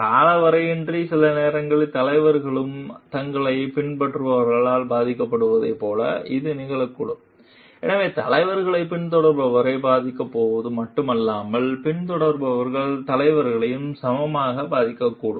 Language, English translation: Tamil, And in definitely, it so it may so happen like the sometimes leaders also get influenced from their followers, so it is not only the leader is going to influence the follower, followers may equally influenced the leader